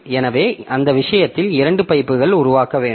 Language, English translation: Tamil, So, in that case I should have two pipes created